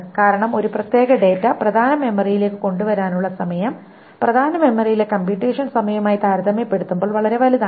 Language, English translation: Malayalam, Because the time to bring a particular data to the main memory is so large compared to the computation times in the main memory